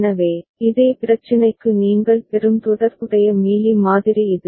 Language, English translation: Tamil, So, this is the corresponding Mealy model that you get for the same problem right